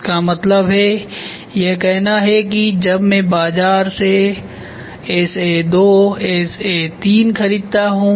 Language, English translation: Hindi, That means, to say when I buy from the market SA2 or SA3